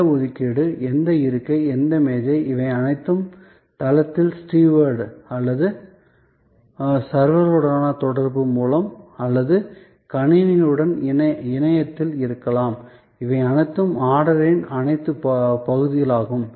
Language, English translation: Tamil, The reservation which seat, which table, all those can be whether on site through the interaction with the steward or servers or on the internet with the system, these are all parts of the order take